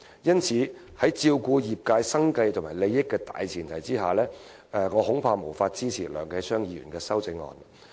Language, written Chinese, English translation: Cantonese, 因此，在照顧業界生計和利益的大前提下，我恐怕無法支持梁繼昌議員的修正案。, Hence on the premise of catering for the livelihood and interests of the sector I am afraid I cannot support Mr Kenneth LEUNGs amendment